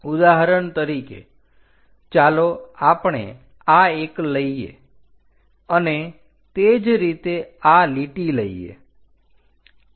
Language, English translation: Gujarati, For example, let us pick this one and similarly pick this line